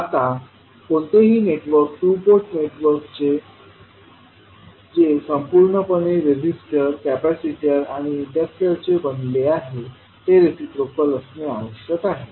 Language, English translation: Marathi, Now any two network, two port network that is made entirely of resistors, capacitors and inductor must be reciprocal